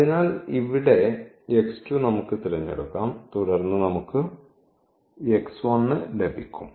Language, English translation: Malayalam, So, here the x 2 we can choose and then we can get the x 1